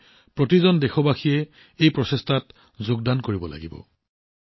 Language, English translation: Assamese, Hence, every countryman must join in these efforts